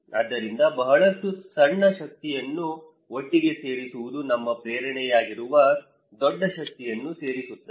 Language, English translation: Kannada, So, putting a lot of small power together adds that the big power that is our motivation